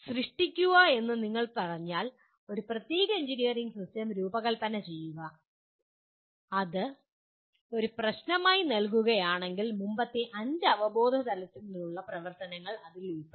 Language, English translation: Malayalam, But if you say create, design a particular engineering system if you are giving it as a problem it is likely to involve activities from all the previous five cognitive levels